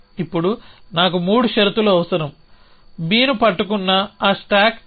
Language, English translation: Telugu, And now, I need the 3 conditions of those stack action which is holding B